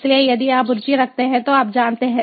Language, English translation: Hindi, so, if you are interested, you know